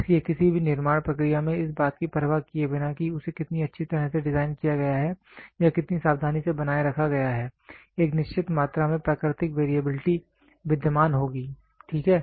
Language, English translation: Hindi, So, in any manufacturing process regardless of how well it is designed or how carefully it is maintained a certain amount of natural variability will be existing, ok